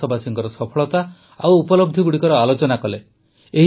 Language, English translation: Odia, We discussed the successes and achievements of the countrymen